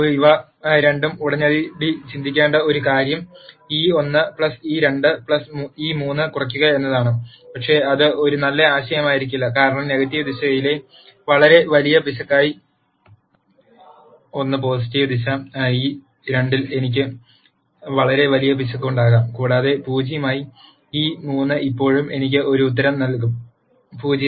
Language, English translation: Malayalam, One thing to immediately think of both is to minimize e 1 plus e 2 plus e 3, but that would not be a good idea simply, because I could have a 1 as a very large error in the positive direction e 2 as a very large error in the negative direction and e 3 as 0 that will still give me an answer 0